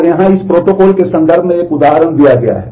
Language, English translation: Hindi, And here is an example shown in terms of this protocol